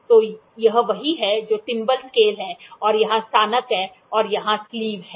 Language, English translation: Hindi, So, this is what the thimble scale, scale and here are the graduations and here is the sleeve